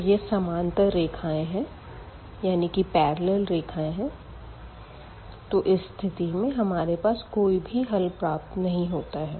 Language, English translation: Hindi, So, they are the parallel lines and in this case we do not have a solution of this given system of equations